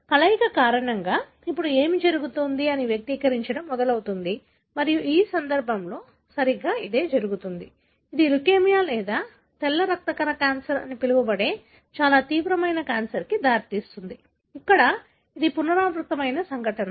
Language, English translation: Telugu, Because of the fusion, now what happens, it starts expressing and exactly that is what happens in this case, leading to a very very severe form of cancer called as leukemia or the white blood cell cancer, where this is a recurrent event